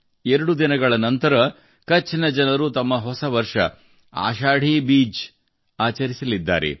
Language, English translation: Kannada, Just a couple of days later, the people of Kutch are also going to celebrate their new year, that is, Ashadhi Beej